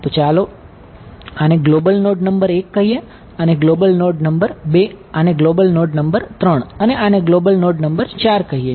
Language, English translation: Gujarati, So, let us call this guy global node number 1, global node 2 global node 3 and global node 4